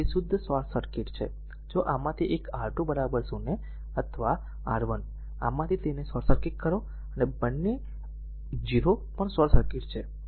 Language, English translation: Gujarati, So, it is a pure short circuit, if you make either of this either this one R 2 is equal to 0 or R 1 is either of this you make short circuit, and both 0 also short circuit, right